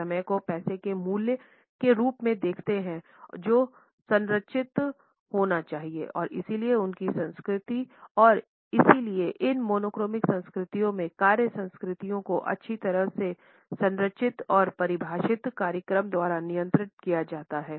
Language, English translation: Hindi, They look at time as money as value which has to be structured and therefore, their culture and therefore, the work cultures in these monochronic cultures are governed by a well structured and well defined schedules